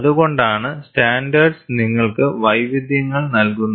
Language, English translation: Malayalam, That is why the standards give you, a variety